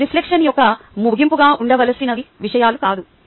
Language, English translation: Telugu, these are not the kind of things that should be the end of reflection